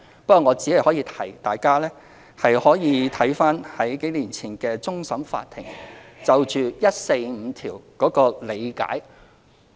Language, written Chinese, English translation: Cantonese, 不過我只可以提醒一點，大家可參閱終審法院數年前就《基本法》第一百四十五條作出的理解。, Yet I would like to remind Members to refer to the construction of Article 145 of the Basic Law given by the Final Court of Appeal several years ago